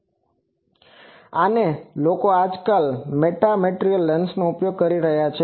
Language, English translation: Gujarati, And so this is a people are nowadays using metamaterial lens